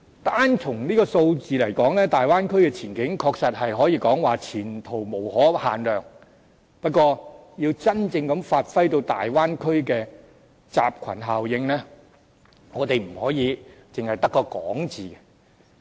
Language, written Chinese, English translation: Cantonese, 單從數字而言，大灣區的前景確實可以說是前途無可限量，不過，要真正發揮大灣區的集群效應，我們不可只在口頭說說。, Judging from the figures alone the prospects in the Bay Area can be rather promising . However if we want this cluster effect to take place in the Bay Area we cannot merely engage in empty talk